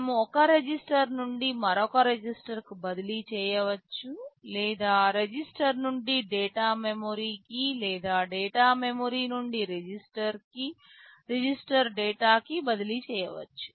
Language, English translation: Telugu, We can transfer from one register to another or we can transfer from register to data memory or data memory to register